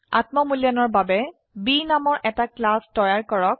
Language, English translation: Assamese, For self assessment, create a class named B